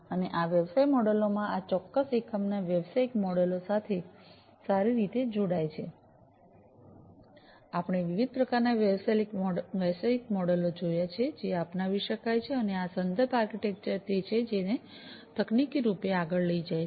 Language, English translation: Gujarati, And this connects well with the business model of this particular unit in the business model, we have seen the different types of business models that could be adopted and this reference architecture is the one which takes it further technically